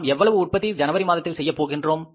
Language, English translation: Tamil, How much we have in the beginning of January